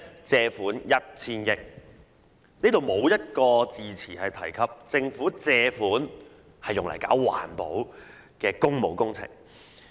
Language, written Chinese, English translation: Cantonese, 借入 $1000 億"，無一字詞提及借款是用來進行環保的工務工程。, Nowhere was it mentioned that the sums borrowed must be spent on works with environmental benefits